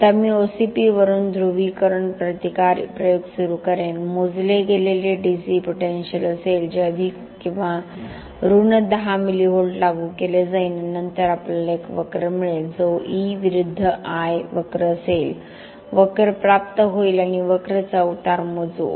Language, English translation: Marathi, Now I will start the polarisation resistance experiment from the OCP measured there will be DC potential that is applied plus or minus 10 millivolts and then we will get a curve that is E versus I curve the curve is obtained we will measure the slope of the curve near to the OCP that will give the polarisation resistance of the steel